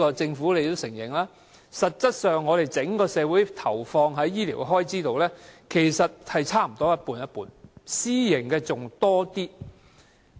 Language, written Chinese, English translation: Cantonese, 政府也承認，整個社會實際投放在醫療開支上，其實差不多各佔一半，私營的還佔多一點。, The Government also admits that there is roughly an equal share of health expenditure between the public and private sectors with the private providers taking up a slightly higher proportion